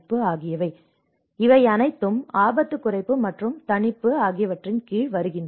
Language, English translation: Tamil, So, these are all comes under risk reduction and mitigation